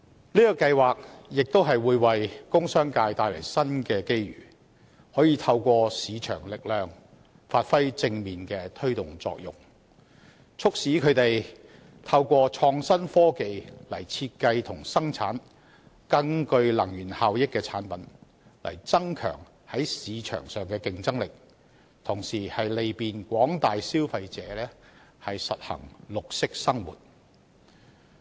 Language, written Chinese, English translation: Cantonese, 這計劃亦會為工商界帶來新機遇，可以透過市場力量發揮正面的推動作用，促使他們透過創新科技來設計和生產更具能源效益的產品，增強在市場上的競爭力，同時利便廣大消費者實行綠色生活。, MEELS will also bring new opportunities to the industrial and commercial sectors and through market force positive incentives can be provided to stimulate the industries to with the application of innovative technologies design and manufacture products that are more energy efficient thereby enhancing their competitiveness in the market and at the same time facilitating the adoption of green practices by consumers at large in their living